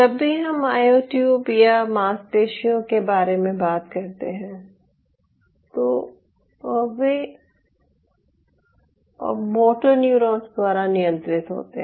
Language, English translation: Hindi, so whenever we talk about ah, myotube or a muscle, they are governed by motor neurons